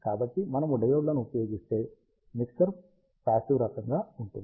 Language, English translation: Telugu, So, if we use diodes, the mixture will be of passive type